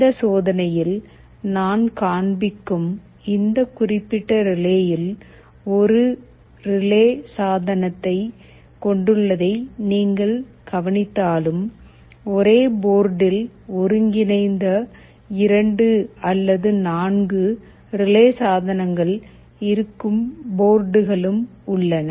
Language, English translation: Tamil, You may note that although this particular relay I shall be showing in this experiment has a single relay device, there are boards available where there are 2 or 4 such relay devices integrated in a single board